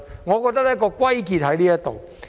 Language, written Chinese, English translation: Cantonese, 我覺得問題的癥結在此。, I think this is the crux of the problem